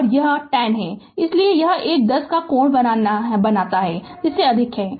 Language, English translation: Hindi, And this is 10, so and this is the angle is more than 90